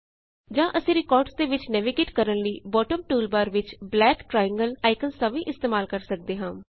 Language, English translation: Punjabi, Or we can also use the black triangle icons in the bottom toolbar to navigate among the records